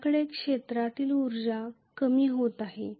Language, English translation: Marathi, Are we having a reduction in the field energy